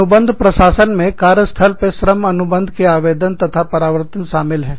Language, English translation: Hindi, Contract administration involves, application and enforcement of the labor contract, in the workplace